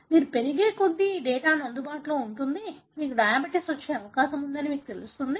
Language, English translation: Telugu, This data is available as you grow up, may know, you are told you are likely to have diabetes